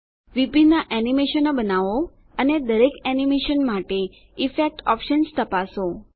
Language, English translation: Gujarati, Create different animations and Check the Effect options for each animation